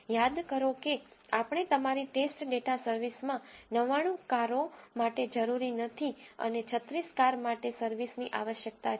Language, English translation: Gujarati, Recall that we have seen in your test data service is not needed for 99 cars and service is needed for 36 cars